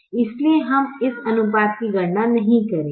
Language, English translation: Hindi, therefore, we will not calculate this ratio